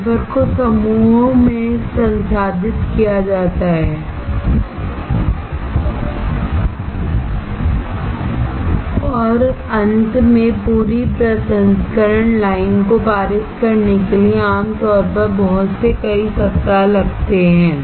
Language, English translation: Hindi, Wafers are processed in groups and finally, typically takes several weeks for a lot, to pass the entire processing line